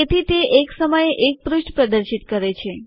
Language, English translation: Gujarati, Thereby, it displays one page at a time